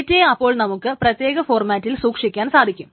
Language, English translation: Malayalam, So the data can be stored in certain formats